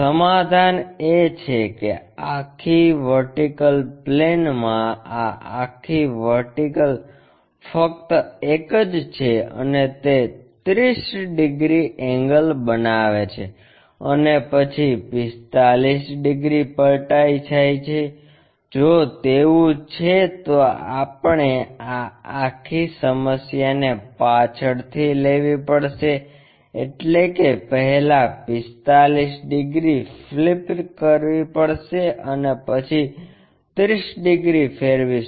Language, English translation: Gujarati, The problem statement is this entire vertical one on the vertical plane and it makes 30 degrees angle and then it is flipped by 45, if that is the case we have to reverse this entire problem first flip it by 45 degrees and then turn it back 30 degrees from there begin the journey construct the remaining views